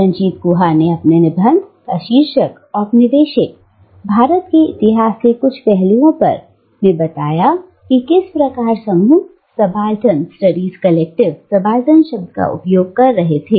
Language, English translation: Hindi, And, Ranajit Guha, in his essay titled, "On Some Aspects of the Historiography of Colonial India," gives us an account of how the group, Subaltern Studies Collective, was using the word subaltern